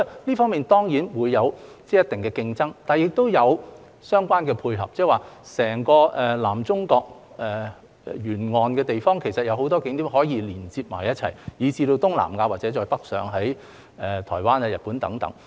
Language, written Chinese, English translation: Cantonese, 郵輪旅遊當然會有一定的競爭，但亦有相關的配合，即是在整個南中國沿岸的地方，其實有很多景點可以連接一起，以至東南亞或再北上的台灣、日本等。, While competition is bound to exist in cruise tourism these places also complement one another in that many scenic spots along the entire southern coast of China and in Southeast Asia or further north such as Taiwan and Japan can be linked up with each other